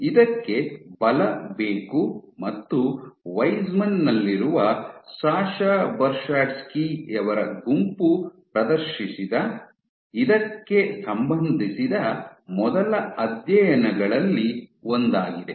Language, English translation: Kannada, So, this requires force and one of the first studies which demonstrated that was by the group of Sasha Bershadsky at Weizmann